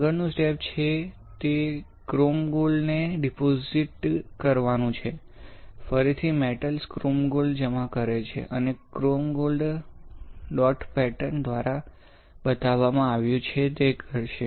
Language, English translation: Gujarati, The next step is, that you deposit chrome gold, again you deposit metal, chrome gold right; and since chrome gold is shown by dot pattern will perform we will use the same pattern ok